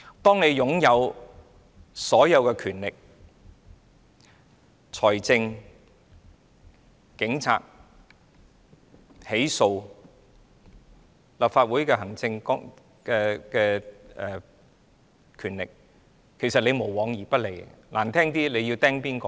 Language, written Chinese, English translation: Cantonese, 當一個人擁有所有的權力、財政、警察、起訴、立法會的行政權力，這個人便無往而不利的。, When a person has all the powers financial power the Police and the administrative power of the Legislative Council this person can do whatever he wants